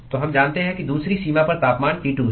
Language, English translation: Hindi, So, we know that the temperature on the other boundary is T2